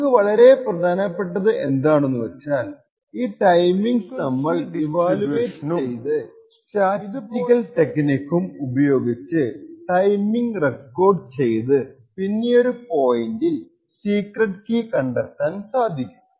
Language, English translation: Malayalam, More important for us is that we evaluate these timings and use a similar frequency distribution and statistical techniques has been done previously to record the timing and then at a later point determine the secret key